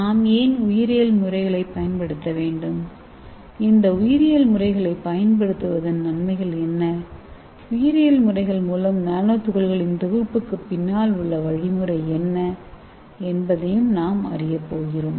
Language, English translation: Tamil, And also we are going to learn why we have to use biological methods, what are the advantages of using these biological methods and what is the mechanism behind the synthesis of this nanoparticle by biological method, and we are also going to see viral nanotechnology